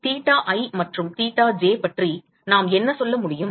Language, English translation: Tamil, What can we say about theta i and theta j